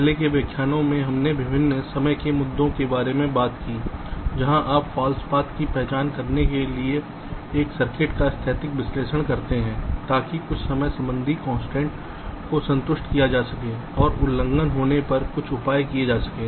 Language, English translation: Hindi, ah, in the earlier lectures we talked about various timing issues where you do static analysis of a circuit to identify false paths and so on, so that some timing related constraints can be satisfied and if there are violations, some measures can be taken